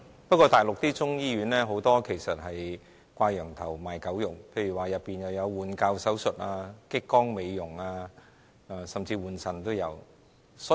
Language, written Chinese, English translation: Cantonese, 不過，大陸很多中醫醫院其實是"掛羊頭，賣狗肉"，例如中醫醫院內有換骹手術、激光美容，甚至換腎手術。, But many Chinese medicine hospitals in the Mainland are not really Chinese medicine hospitals . For example such hospitals may perform joint replacements laser beauty treatment and kidney transplant